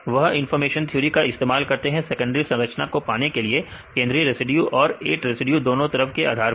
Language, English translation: Hindi, They use information theory right, to get the secondary structures, based on the information regarding to central residue as well as 8 residues on both the sides right